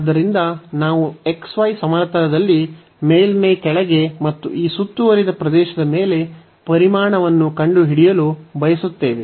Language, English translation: Kannada, So, we want to find the volume below the surface and over this enclosed area in the xy plane